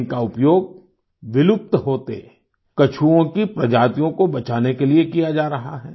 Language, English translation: Hindi, They are being used to save near extinct species of turtles